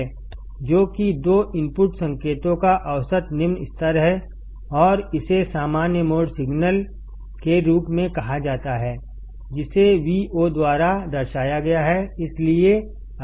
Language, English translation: Hindi, Which is, the average low level of the two input signals and is called as the common mode signal, denoted by Vc